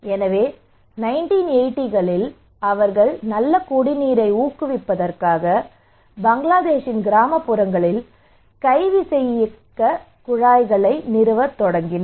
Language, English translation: Tamil, So in 1980s they started to install hand pumps in rural areas in Bangladesh to promote